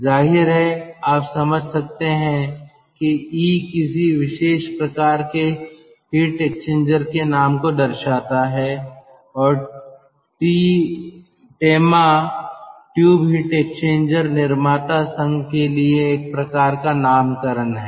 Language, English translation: Hindi, e is some sort of a nomenclature for a particular type of heat exchanger and tema tube heat exchanger manufacturers association